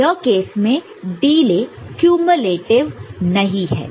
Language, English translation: Hindi, So, in this case the delay is not cumulative